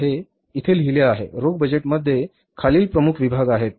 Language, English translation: Marathi, The cash budget has the following major sections